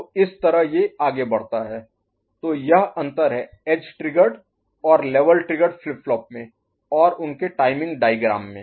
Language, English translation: Hindi, So, this is the way it progresses this is a difference between edge triggered and level triggered flip flop and their timing diagram